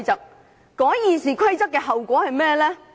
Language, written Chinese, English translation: Cantonese, 修改《議事規則》有何後果？, What are the consequences of amending the Rules of Procedure?